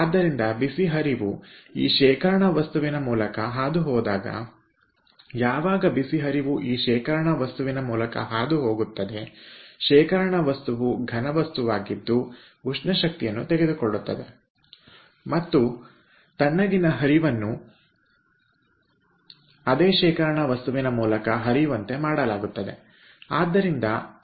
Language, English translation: Kannada, so when the hot stream passes through this storage material, which is a solid material, the storage material will pick up thermal energy and then cold stream will be made to pass through that storage material so that that thermal energy which was stored will be taken by the cold stream